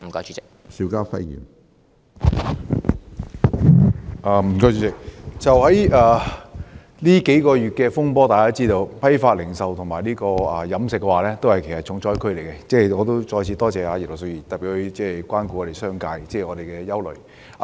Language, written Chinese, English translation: Cantonese, 主席，就這數個月的風波，大家知道批發及零售業和飲食業均是重災區，我再次多謝葉劉淑儀議員特別關顧商界的憂慮。, President we know that in the turmoil during these few months the wholesale and retail industry as well as the catering industry are hard hit . I have to thank Mrs Regina IP again for her special concern about the anxiety of the business sector